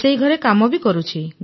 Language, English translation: Odia, I do kitchen work